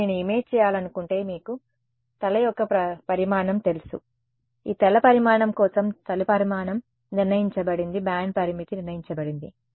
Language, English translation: Telugu, So, if I want to image you know head size, the head size is fixed for this head size the bandlimit is fixed